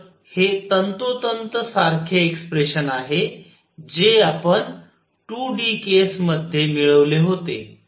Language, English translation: Marathi, So, this is exactly the same expression that we had obtained in 2 d case